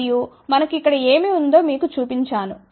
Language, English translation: Telugu, And, here just to show you what we have here